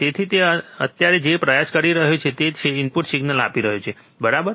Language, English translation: Gujarati, So, what he is right now trying is, he is giving a input signal, right